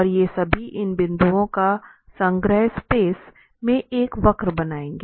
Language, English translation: Hindi, And all these, the collection of these points will form a curve in the space